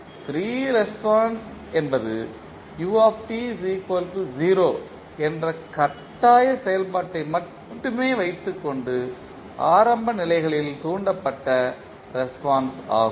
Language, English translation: Tamil, Free response means the response that is excited by the initial conditions only keeping the forcing function that is ut equal to 0